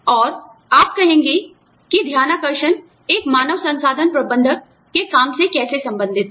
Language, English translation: Hindi, And, you will say, how is whistleblowing related to, the work of an HR manager